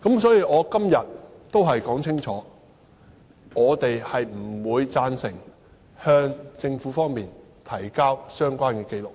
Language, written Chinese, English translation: Cantonese, 所以，我今天要說清楚，我們不會贊成向政府提交相關紀錄。, Therefore I have to make it clear today that we will not support the submission of the records concerned to the Government